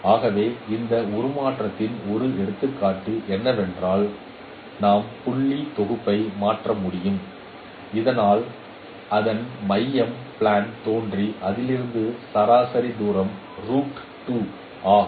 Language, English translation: Tamil, So one of the example of this transformation which is very often used is that we can transform the point set so that its center becomes origin in the plane and average distance from it is root 2